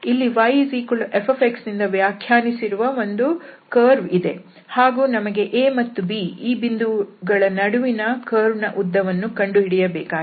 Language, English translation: Kannada, So, we have a curve here y is equal to f x, and then which we want to get, for instance, the arc length between this point a and b